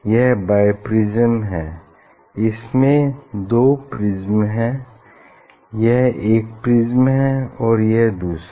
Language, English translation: Hindi, this is the biprism; this is the two, this is one prism, and this is another prism